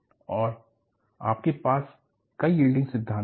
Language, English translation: Hindi, And, you had several yield theories